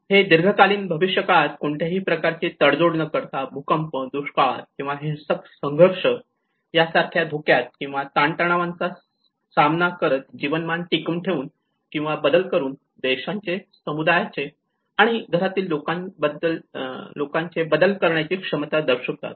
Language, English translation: Marathi, It says the ability of countries, communities, and households to manage change, by maintaining or transforming living standards in the face of shocks or stresses such as earthquakes, droughts or violent conflict without compromising their long term prospects